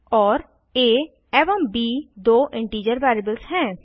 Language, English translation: Hindi, And two integer variables as a and b